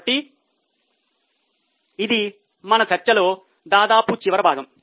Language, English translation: Telugu, So, this was almost the last part of our discussion